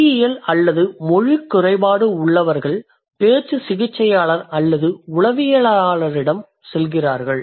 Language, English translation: Tamil, So people who have linguistic or language impairment, they go to the speech therapist or the psychologist